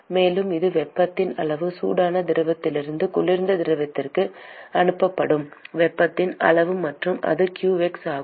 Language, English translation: Tamil, And that is the amount of heat that is being transported from the system from hot fluid to the cold fluid and that is qx